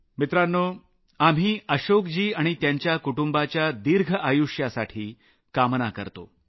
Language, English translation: Marathi, Friends, we pray for the long life of Ashok ji and his entire family